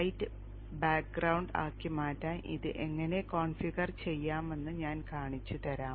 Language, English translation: Malayalam, I will show you how to configure it to make it into a light background one